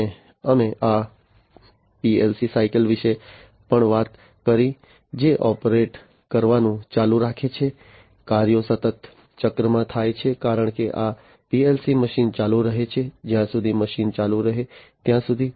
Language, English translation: Gujarati, And we also talked about this PLC cycle, which continues to operate the tasks are continuously done in the cycle as these PLC machine keeps on operating, until the machine keeps on operating